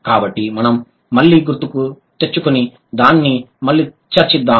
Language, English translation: Telugu, So, let's just recall, let's just discuss it again